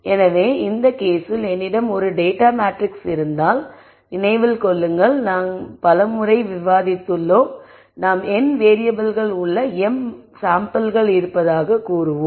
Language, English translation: Tamil, So, in this case remember if I have a matrix of data this we have discussed several times let us say I have m samples in n variables